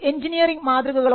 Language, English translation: Malayalam, Student: Engineering designs